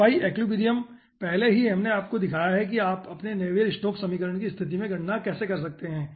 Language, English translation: Hindi, already i have shown you how you can calculate in case of your navier stokes equation